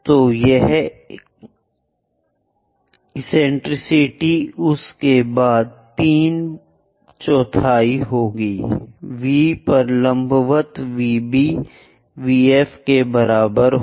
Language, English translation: Hindi, So that eccentricity will be three fourth after that at V draw perpendicular VB is equal to VF